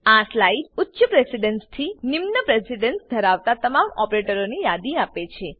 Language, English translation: Gujarati, This slide lists all operators from highest precedence to lowest